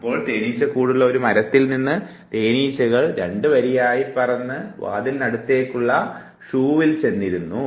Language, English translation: Malayalam, So, a tree with the hive bee flew in two lines on a shoe inside a door